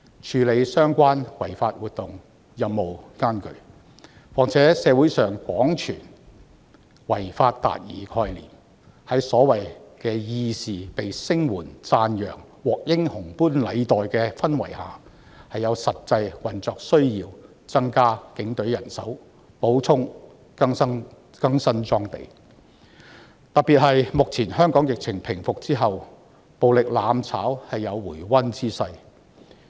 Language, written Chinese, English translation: Cantonese, 處理相關違法活動的任務艱巨，所以在社會上廣傳違法達義的概念，所謂的義士獲聲援及讚揚並獲英雄般禮待的氛圍下，是有實際運作需要增加警隊人手，以及補充及更新裝備，特別是在目前香港的疫情平復後，暴力"攬炒"確有回溫之勢。, It is a difficult task to deal with these unlawful activities . Thus when there is widespread propaganda in the community about achieving justice by violating the law and when the so - called righteous people receive lots of support and commendations and are being regarded as heroes there is a genuine operation need to increase the manpower of the Police Force as well as to acquire and replace their equipment . In particular as the current epidemic gradually recedes in Hong Kong there is a trend that mutual destruction through violence has revived